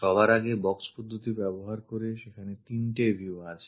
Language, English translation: Bengali, First of all, three views are there by using box method